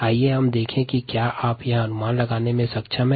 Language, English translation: Hindi, let us see whether you are able to guess this